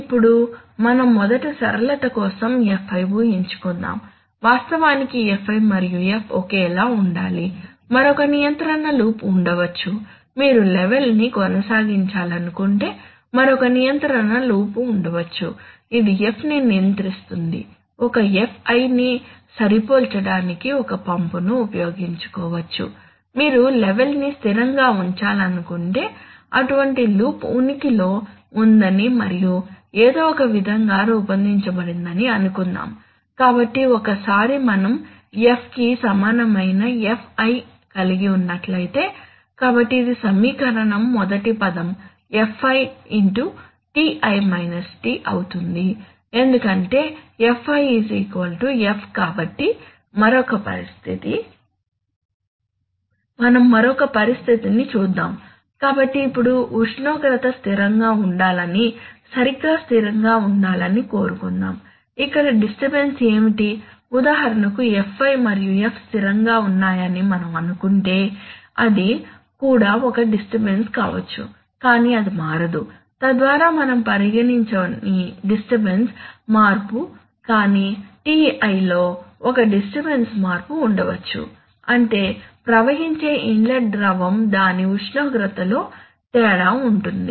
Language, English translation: Telugu, Now let us first assume for simplicity that Fi and F are same, actually Fi and F will have to be, there may be another control loop which if you want to maintain the level then there may be another control loop which will control F maybe using a pump to match a Fi if you want to keep the level constant let us assume that such a loop exists and somehow has been designed, so once we have done that we have Fi equal to F, so this equation the first term becomes Fi into Ti minus T because Fi is equal to F, so another situation,